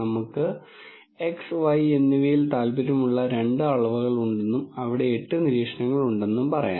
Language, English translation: Malayalam, Let us say there are two dimensions that we are interested in x and y and there are eight observations